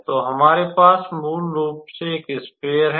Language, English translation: Hindi, So, here we have a sphere basically